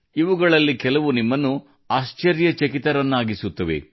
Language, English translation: Kannada, Some of these are such that they will fill you with wonder